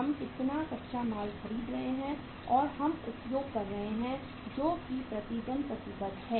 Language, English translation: Hindi, How much raw material we are say buying or we are we are using that is committed per day